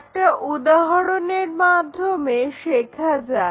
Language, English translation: Bengali, And, let us learn that through an example